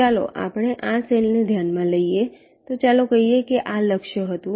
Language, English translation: Gujarati, let say, let us consider this cell, so lets call this was the target